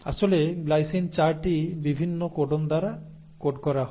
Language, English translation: Bengali, In fact glycine is coded by 4 different codons